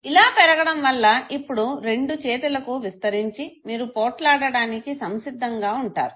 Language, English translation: Telugu, And this increase in turn will now get extended to the two arms and you will be ready for fight